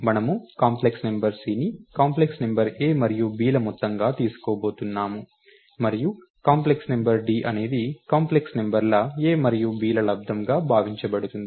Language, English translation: Telugu, And we are going to take the complex number c as the sum of the complex numbers a and b, and the complex number d is supposed to be the product of the num complex numbers a and b